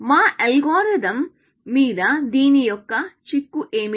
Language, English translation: Telugu, What is the implication of this on our algorithm